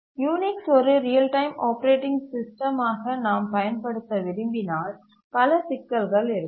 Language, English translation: Tamil, If we want to use Unix as a real time operating system, we will find many problems